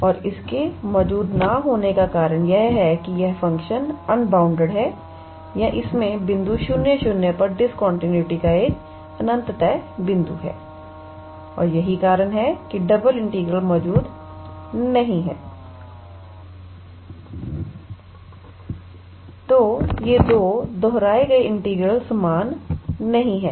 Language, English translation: Hindi, And the reason for it not existing is that this function is unbounded or it has an infinite point of discontinuity at the point 0, 0 and that is why double integral does not exist or they these two repeated integral they are not same